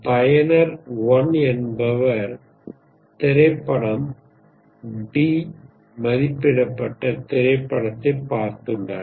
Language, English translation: Tamil, User 1 has seen movie D, rated movie